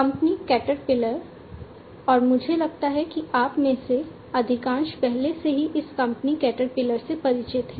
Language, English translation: Hindi, The company Caterpillar, and I think most of you are already familiar with this company Caterpillar